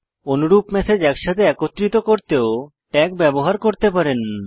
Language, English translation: Bengali, You can also use tags to group similar messages together